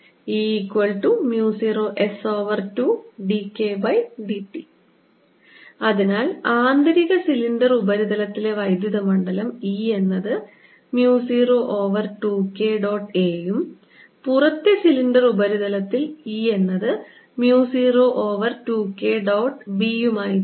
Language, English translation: Malayalam, so electric field at the eat, the inner cylinder surface, is going to be mu zero over two k dot a and e at the outer cylindrical surface is going to be mu zero over two k dot b